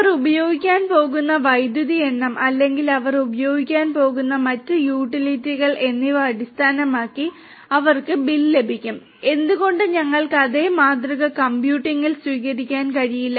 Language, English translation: Malayalam, And they will get billed based on the number of units of electricity that they are going to use or other utilities that they are going to use, why cannot we adopt the same model in computing